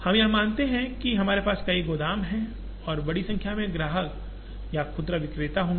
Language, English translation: Hindi, Here we assume that, we would have several warehouses and a large number of customers or retailers